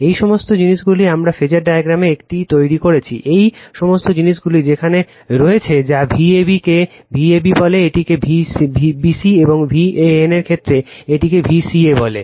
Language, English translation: Bengali, This all this things in the phasor diagram we have made it, right, all this things are there that your what you call V ab this one, V bc this one and V ca is this one with respect to your V an right